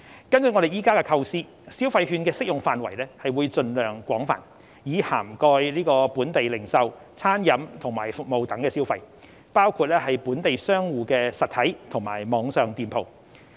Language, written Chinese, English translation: Cantonese, 根據我們現時的構思，消費券的適用範圍會盡量廣泛，以涵蓋本地零售、餐飲及服務等消費，包括本地商戶的實體及網上店鋪。, According to the current design the coverage of the consumption vouchers will be as extensive as possible covering consumption at physical and online stores of local merchants in the retail food and beverage and services sectors